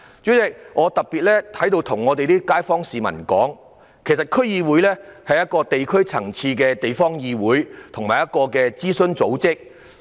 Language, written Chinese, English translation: Cantonese, 主席，我想特別在此告訴我所屬選區的市民，區議會是地區層次的地方議會和諮詢組織。, President I would like to tell the people of my constituency in particular that DCs are local organizations and advisory bodies at the district level